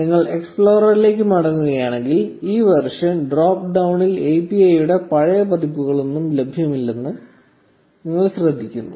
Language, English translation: Malayalam, If you go back to the explorer, you notice that now in the version drop down there are no old versions of the API available